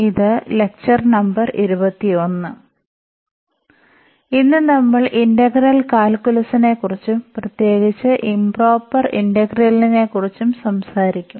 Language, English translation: Malayalam, So, welcome to the lectures on Engineering Mathematics – I and this is lecture number 21 and today, we will talk about the integral calculus and in particular Improper Integrals